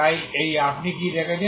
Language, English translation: Bengali, So this is what you have seen